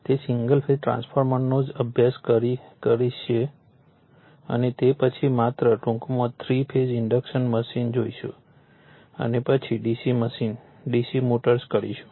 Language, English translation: Gujarati, That we will study single phase transformers only and after this we will see that your 3 phase induction machine only in brief and then the DC machine will the DC motors right